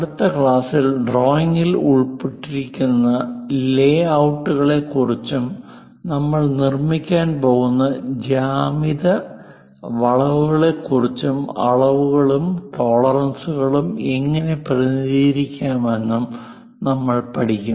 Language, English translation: Malayalam, In the next class, we will learn about layouts involved for drawing, what are the geometrical curves we can construct, how to represent dimensioning and tolerances